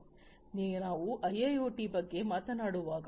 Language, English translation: Kannada, So, when we talk about a IIoT Industrial IoT